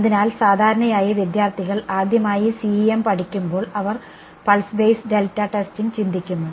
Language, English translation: Malayalam, So, usually when student learns CEM for the first time they think pulse basis delta testing